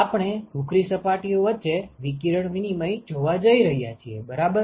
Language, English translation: Gujarati, We are going to look at radiation exchange between gray surfaces ok